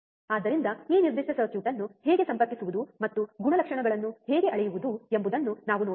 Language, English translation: Kannada, So, let us see how to how to connect this particular circuit and how to measure the characteristics ok, alright